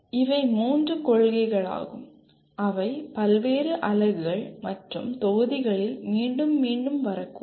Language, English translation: Tamil, These are the three principles which may keep repeating in various units and modules